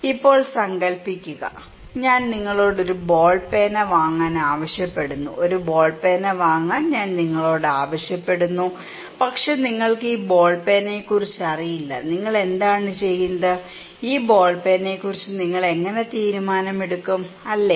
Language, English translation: Malayalam, Now, imagine then I ask you to buy a ball pen okay, I ask you to buy a ball pen but you do not know about this ball pen, what do you do, how do you make a decision about this ball pen, is it difficult; it is very difficult to make a decision about this ball pen because I really do not know